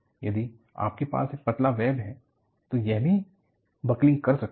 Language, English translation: Hindi, If you have a thin web, it can buckle also